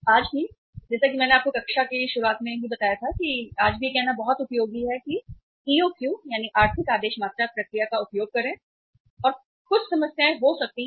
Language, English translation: Hindi, Even today, as I told you just in the beginning of the class that even today it is very very useful to uh say use the economic order quantity process and there might be some problems